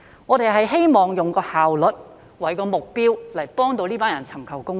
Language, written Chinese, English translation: Cantonese, 我們希望以效率作為目標來協助他們尋求公義。, We hope to help them seek justice through improved efficiency